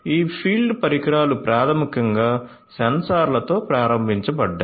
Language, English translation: Telugu, So, this field devices are basically sensor enabled so, sensor enabled